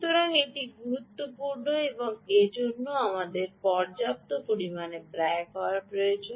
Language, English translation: Bengali, ok, so it is important and that's why, ah, we need to spend sufficient amount of time